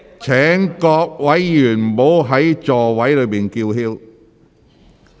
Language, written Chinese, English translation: Cantonese, 請各位議員不要在席上高聲叫喊。, Will Members please stop yelling in your seats